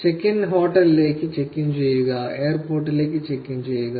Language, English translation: Malayalam, Check in like check in into the hotel, check in into the airport